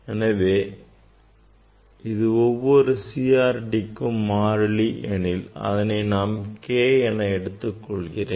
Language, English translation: Tamil, if this is the constant for a particular CRT, so we can write K